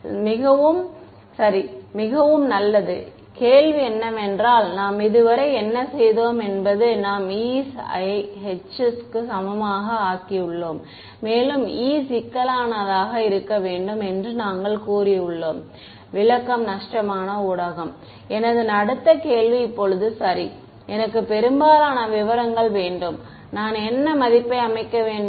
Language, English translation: Tamil, Ok so good so, the question is how do we, what we have done so far is we have made the e’s equal to h and we have said that e should be complex, interpretation is of lossy medium, my next question is now ok, I want most specifics, what value should I set